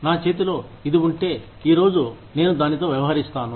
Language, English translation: Telugu, If i have this in hand, today, i will deal with it, today